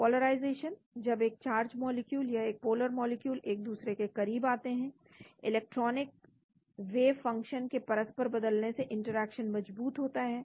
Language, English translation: Hindi, Polarization: when a charged molecule or a polar molecule gets close to another, mutual changes of electronic wavefunctions strengthen the interaction